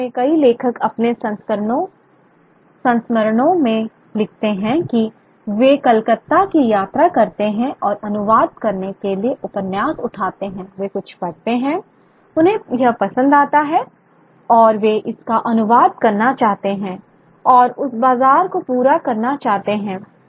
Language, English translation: Hindi, In fact, many writers write in their memoirs that they travel to Calcutta and pick up novels to translate, they read something, they like it and they want to translate it and cater to that market